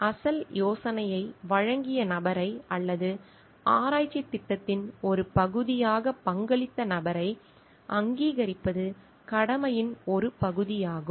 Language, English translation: Tamil, It is a part of a duty to acknowledge the person who has original given the idea or who has contributed as a part of a research program